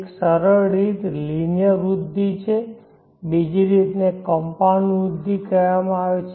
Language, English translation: Gujarati, One simple way is the linear growth another way is called the compound growth, 3rd way exponential growth